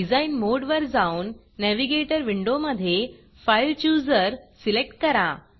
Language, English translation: Marathi, Switch to the design mode and select the fileChooser in the Navigator window